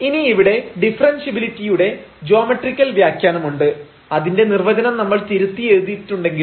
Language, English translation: Malayalam, So, now we have the geometrical interpretation for the differentiability again just though we have rewritten that definition